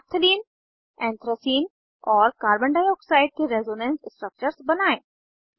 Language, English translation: Hindi, Draw resonance structures of Naphthalene, Anthracene and Carbon dioxide This is the required reaction pathway